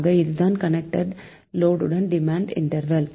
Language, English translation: Tamil, so so connected load demand demand interval